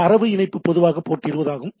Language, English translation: Tamil, So, typically the data connection is established at port 20